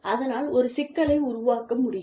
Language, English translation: Tamil, So, that can create a problem